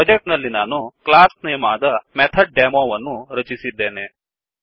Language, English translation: Kannada, In the project, I have created a java class name MethodDemo